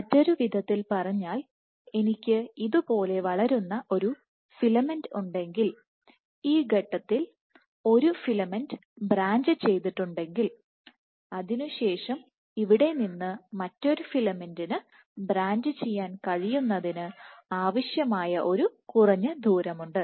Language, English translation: Malayalam, In other words, if I have a filament growing like this and a filament has branched at this point there is a minimum distance beyond which another filament can branch from here